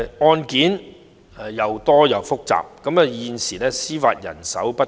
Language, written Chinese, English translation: Cantonese, 案件既多且複雜，而現時司法人手卻不足。, The cases involved are numerous and complicated but there is a shortage of judicial manpower